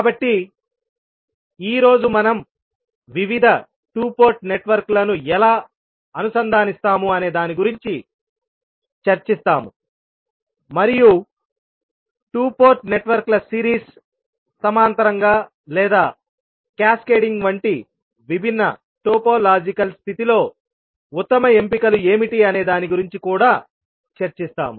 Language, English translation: Telugu, So today we will discuss about how we will interconnect various two port networks and what would be the best options in a different topological condition such as series, parallel or cascading of the two port networks